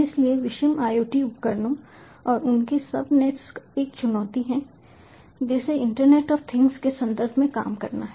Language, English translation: Hindi, so heterogeneous iot devices and their subnets is a challenge that has to be worked on in the context of internet of things